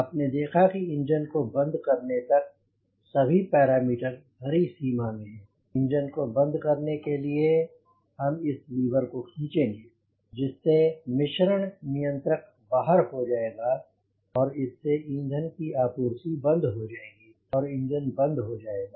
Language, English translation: Hindi, your parameters are in green range to cut off the engine, to switch off the engine, i will pull this lever, the mixture control, out, which will stop the supply of fuel to the engine and it and the engine will eventually shut down